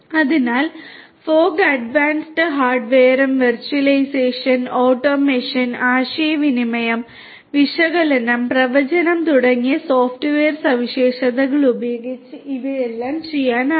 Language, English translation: Malayalam, So, using fog advanced hardware and software features such as virtualization, automation, communication, analysis, prediction, all of these can be done